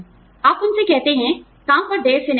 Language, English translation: Hindi, You tell them, not to come to work, late